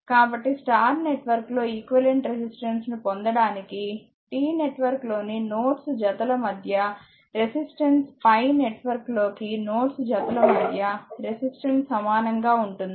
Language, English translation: Telugu, So, for obtaining the equivalent resistances in the star network, the resistance between each pair of nodes in the star or T network is the same as the resistance between the same pair of nodes in the delta or pi you know how it looks like